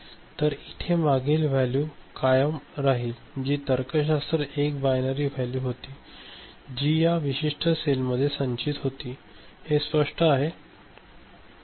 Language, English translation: Marathi, So, it will continue to remain in its previous value which was a logic 1 a binary value 1 that was stored in this particular cell ok, is it clear right